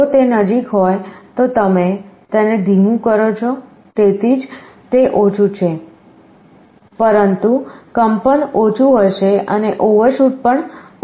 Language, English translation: Gujarati, If it is closer you make it slower that is why it is lower, but oscillation will be less and also overshoot is less